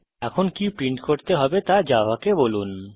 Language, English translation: Bengali, Now let us tell Java, what to print